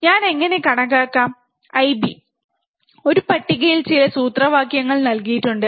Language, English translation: Malayalam, And how can calculate the I B, there were some formulas given in a table